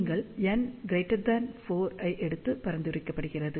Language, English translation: Tamil, And it is recommended that you take n greater than 4